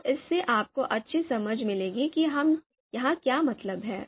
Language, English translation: Hindi, So that would give you a good understanding of what we mean here